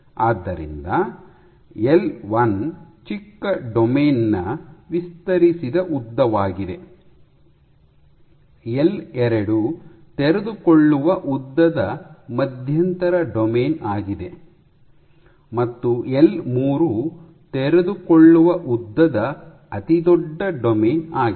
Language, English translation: Kannada, So, L l one is the unfolded length of smallest domain, L 2 is similarly the unfolded length of intermediate domain and L 3 is unfolded length of longest largest domain